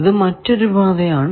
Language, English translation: Malayalam, What was the second path